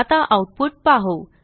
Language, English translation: Marathi, Let us see the output